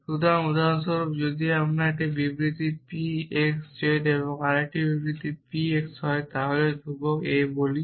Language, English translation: Bengali, So, for example, if I have a statement p x z and another statement p x let us say constant a